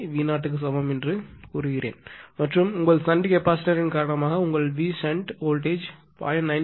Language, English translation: Tamil, 95 and suppose your V sh supposed due to your shnt capacitor supposed voltage has improved 2